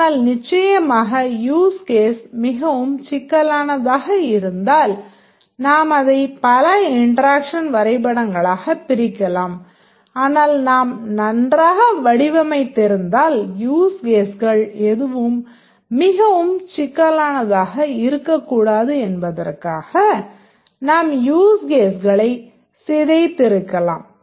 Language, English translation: Tamil, But of course if the huge case is very complex we might split into multiple interaction diagrams but if you have designed well then we might have decomposed the huge cases so that none of the use cases is very complex